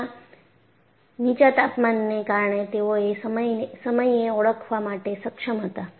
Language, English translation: Gujarati, And, because of low temperature, is what they were able to identify at that time